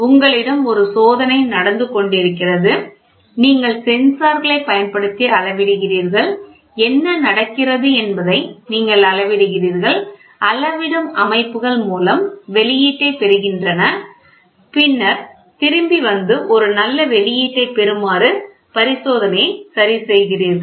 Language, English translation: Tamil, You have an experiment going on, you measure the using sensors you measure what is going on, these are measuring systems, get the output and then come back and correct the experiment such that you get a good output